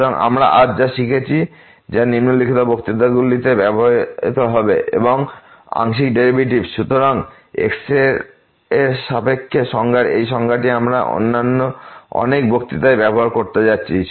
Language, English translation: Bengali, So, what we have learnt today which will be used in following lectures is the Partial Derivatives; so, it with respect to this definition we are going to use in many other lectures